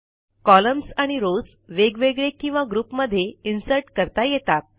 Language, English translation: Marathi, Columns and rows can be inserted individually or in groups